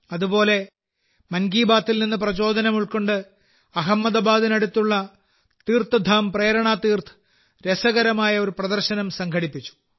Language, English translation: Malayalam, Similarly, inspired by 'Mann Ki Baat', TeerthdhamPrernaTeerth near Ahmadabad has organized an interesting exhibition